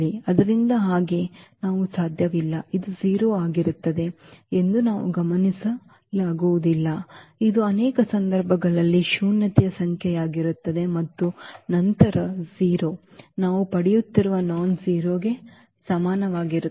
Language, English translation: Kannada, So, having so, we cannot; we cannot just observe that this will be 0 this will be a non zero number as well in many situation and then 0 is equal to something nonzero we are getting